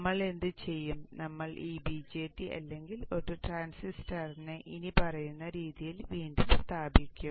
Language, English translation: Malayalam, Next what we will do we will further reposition this BJT or a transistor in the following way